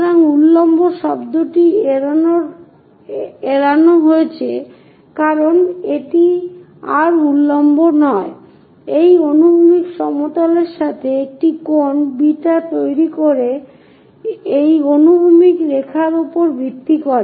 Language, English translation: Bengali, So, this vertical word is avoided because it is not anymore vertical, it makes an angle beta with respect to the horizontal plane and inclined with respect to horizontal line